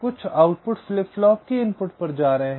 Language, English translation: Hindi, o, some outputs are going to the input of the flip flop